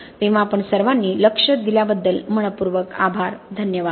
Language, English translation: Marathi, So thank you all very much for your attention, thank you